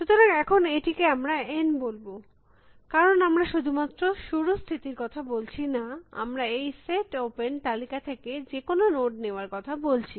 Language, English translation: Bengali, So, let us call this N now, because we are not only talking about the start state, but of any note that we pick from this list, this set open